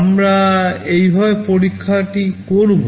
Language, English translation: Bengali, This is how we shall be doing the experiment